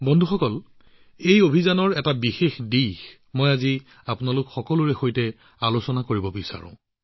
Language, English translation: Assamese, Friends, there has been one aspect of this mission which I specially want to discuss with all of you today